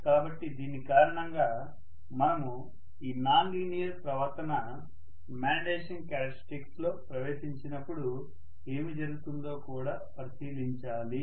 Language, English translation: Telugu, So that’s all the more reason, we should also take a look at what happens when this non linear behavior creeps in into the magnetization characteristics, okay